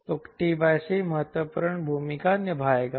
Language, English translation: Hindi, so t by c will play the important role